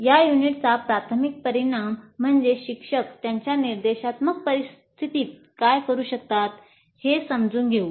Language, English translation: Marathi, So the major outcome of this unit is understand what the teacher can do in his instructional situation